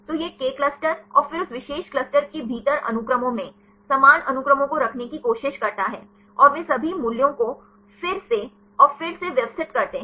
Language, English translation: Hindi, So, this K clusters and then try to put in the sequences, similar sequences within that particular cluster and they rearrange all the values again and again